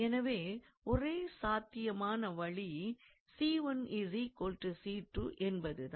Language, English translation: Tamil, And therefore, the only possibility we have is that c 1 must be equals to c 2